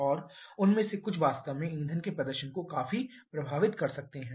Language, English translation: Hindi, And some of them can really influence the engine performance quite a bit